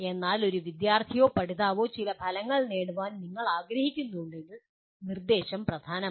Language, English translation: Malayalam, But if you want a student to or learner to acquire some outcomes then the instruction becomes important